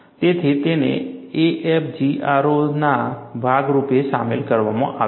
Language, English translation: Gujarati, So, these are included as part of AFGROW